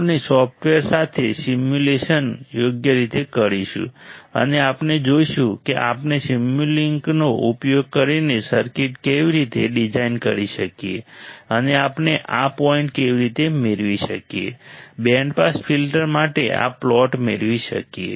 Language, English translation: Gujarati, We will perform a simulation with a software right and we will see how we can design the circuit using a Simulink and how we can obtain this point, obtain this plot for the band pass filter